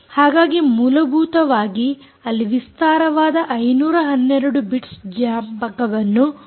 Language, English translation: Kannada, so, essentially, you can have extended memory of five hundred and twelve bits